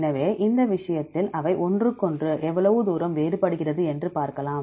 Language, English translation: Tamil, So, in this case, if you see how far they are different from each other